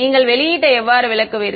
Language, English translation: Tamil, How will you interpret the output